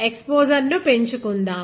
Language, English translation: Telugu, Let me increase the exposure